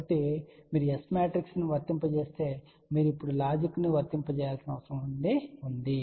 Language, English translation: Telugu, So, if you apply the S matrix blindly is not going to do the job you have to now apply the logic